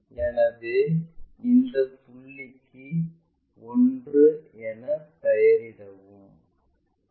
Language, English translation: Tamil, So, this is the point and let us name this one as 1